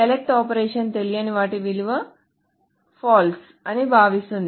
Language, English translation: Telugu, And the select operation treats unknown as false